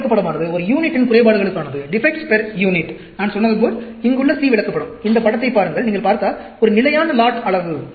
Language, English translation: Tamil, This is charts for defect per unit; like I said, the C chart here, if you look at this figure, a constant lot size